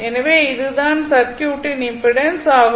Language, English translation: Tamil, Therefore, impedance of the circuit is this one